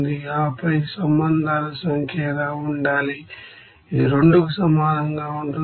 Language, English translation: Telugu, And then what should be the number of relations, this will be equals to 2, why